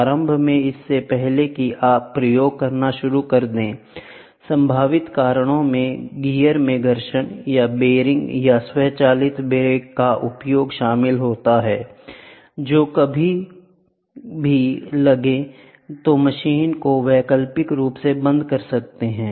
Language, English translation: Hindi, Initially, even before you start doing experiments, possible reason include friction in gear or bearing or the use of automatic brakes when which engaged, then the machine is stopped alternatively